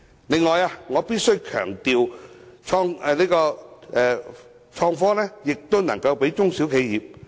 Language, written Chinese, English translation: Cantonese, 此外，我必須強調，創新科技亦應適用於中小型企業。, Furthermore I must emphasize that IT should also be applicable to small and medium enterprises SMEs